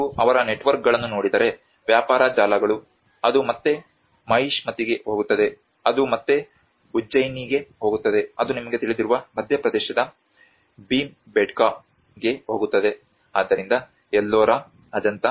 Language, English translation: Kannada, \ \ \ If you look at their networks, the trade networks, it goes back to Mahishmati, it goes back to Ujjain, it goes back to Bhimbetka in Madhya Pradesh you know, so Ellora, Ajanta